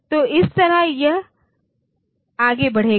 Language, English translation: Hindi, So, this way it will go on